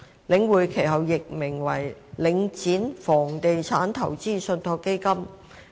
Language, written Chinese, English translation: Cantonese, 領匯其後易名為領展房地產投資信託基金。, The Link was subsequently renamed as Link Real Estate Investment Trust Link REIT